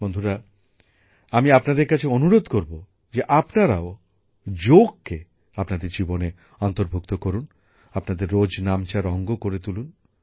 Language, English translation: Bengali, Friends, I urge all of you to adopt yoga in your life, make it a part of your daily routine